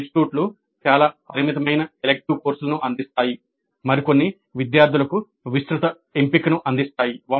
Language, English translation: Telugu, Some institutes offer an extremely limited set of electives while some do offer a wide choice for the students